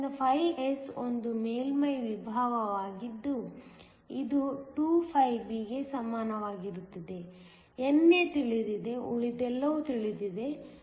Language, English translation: Kannada, So, φs is a surface potential that is equal to 2φb; NA is known, everything else is known